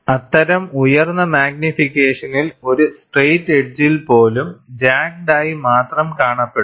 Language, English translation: Malayalam, At such high magnification, even a straight edge would appear jagged only